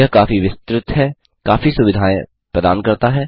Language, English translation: Hindi, It is very extensive, offering a wide range of facilities